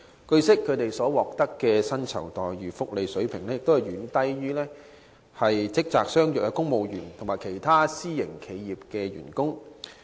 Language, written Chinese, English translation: Cantonese, 據悉，他們所獲薪酬福利的水平遠低於職責相若的公務員及其他私營企業僱員的水平。, It is learnt that the remuneration packages for them are far inferior to those of civil servants and employees of other private enterprises with comparable duties